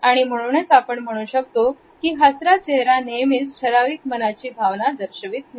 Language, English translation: Marathi, And therefore, I smiling face does not necessarily communicate a particular or a specific emotional state of mind